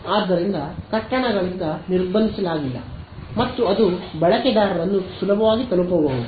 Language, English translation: Kannada, So, that it is not blocked by buildings and so on, it can easily reach users ok